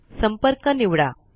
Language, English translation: Marathi, First, select the Contact